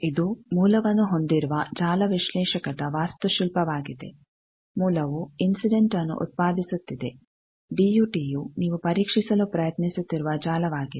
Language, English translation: Kannada, This is the network analyzer architecture it is having source is producing incident thing, then the thing is given DUT is the network that you are trying to test